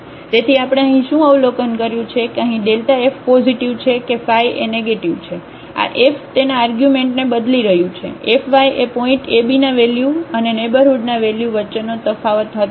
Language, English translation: Gujarati, So, what we observe here that whether the f y is positive here or f y is negative this delta f is changing its sign, the delta f was the difference between the value at the point a b and the value in the neighborhood